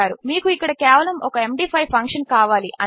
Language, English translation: Telugu, You just need have an MD5 function here